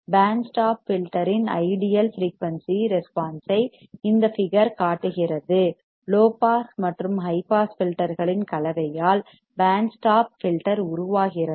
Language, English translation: Tamil, The figure shows ideal frequency response of band stop filter, with a band stop filter is formed by combination of low pass and high pass filters